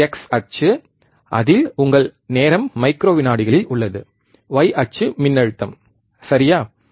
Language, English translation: Tamil, There is a x axis is your time in microseconds, y axis is voltage, right